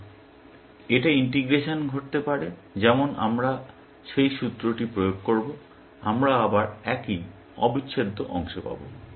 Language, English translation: Bengali, Integration, it could happen like, when we apply that formula, we will get the same integral part again